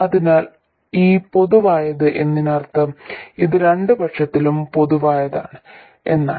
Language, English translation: Malayalam, So this common means that it is common to the two sides